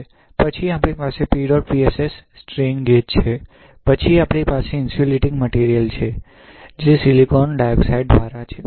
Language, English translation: Gujarati, Then we have here PEDOT PSS strain gauge right, then we have insulating material which is by silicon dioxide, alright